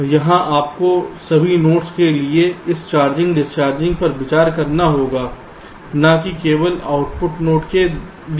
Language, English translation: Hindi, so here you have to consider this charging, discharging for all the nodes, not only the output node, right